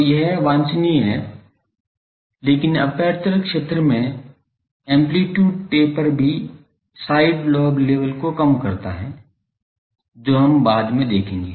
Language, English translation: Hindi, So, that is not desirable, but amplitude taper in the aperture field also decreases the side lobe level this we will show later